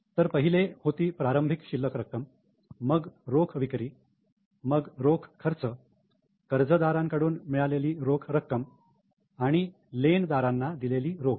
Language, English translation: Marathi, So, first one was opening balance of cash, then cash sales, then cash expenses, cash received from data and cash paid to creditor